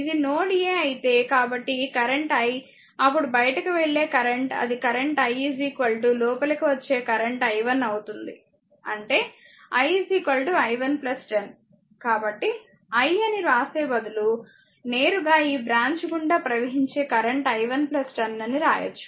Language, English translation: Telugu, So, if you apply than this current say it is i, this current is i, right then it is out going current i is equal to incoming current ; that is, your i 1 i 1 plus your plus 10 , right so, i is equal to that, instead of writing I directly we are writing this current i 1 plus 10 flowing through this branch , right